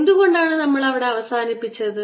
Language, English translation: Malayalam, why did we stop there